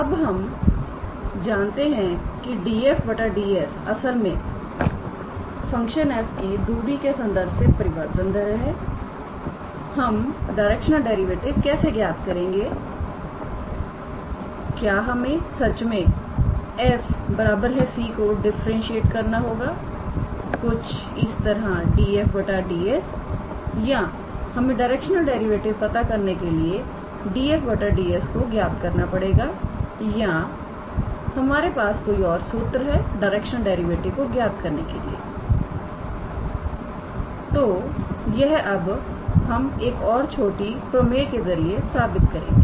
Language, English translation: Hindi, Now, that we have stated df dS is basically that rate of change of f with respect to distance how do we calculate the directional derivative do we really have to differentiate f x, y, z equals to c as del f del S or do we have to calculate df dS to calculate the directional derivative or is there any other formula to calculate the directional derivative so, that we will now prove, in terms of a small theorem